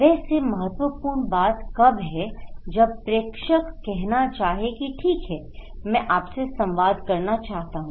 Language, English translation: Hindi, Anyways, the important is that when the sender wants to say that okay I want to communicate with you